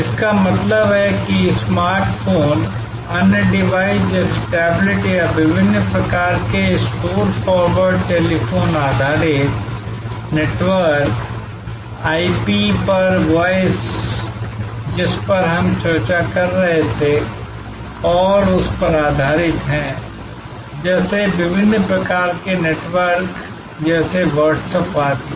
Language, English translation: Hindi, That means internet delivered over smart phones, other devices like tablets or different kind of store forward telephone based networks, voice over IP, which we were discussing and based on that, different types of networks like Whatsapp, etc